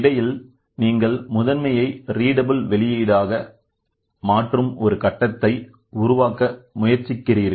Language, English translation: Tamil, So, then in between you try to have a stage where in which you convert the primary into a readable output